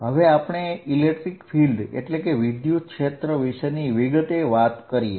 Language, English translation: Gujarati, So, what we are going to now talk about is the electric field